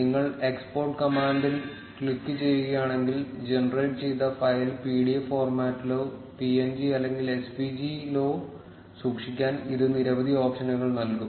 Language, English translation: Malayalam, If you click on the export command, it will give you several options to store the generated file in either pdf format, png or svg